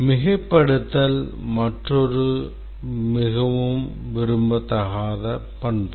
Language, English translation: Tamil, Over specification is another very undesirable characteristic